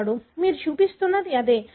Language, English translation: Telugu, That is what you are showing